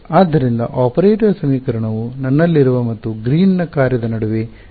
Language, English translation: Kannada, So, this I should get the operator equation to be the exact same between what I have and Green’s function